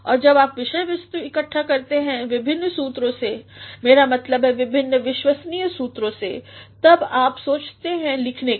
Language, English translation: Hindi, And when you gather the material from different sources; I mean from different reliable sources then you think of writing